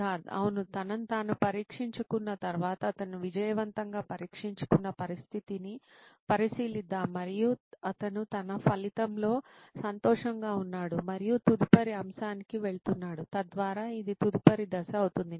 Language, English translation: Telugu, After testing himself probably if he is, let us consider a situation where he is successfully tested himself and he is happy with his result and is moving on to the next topic, so that would be the next step according to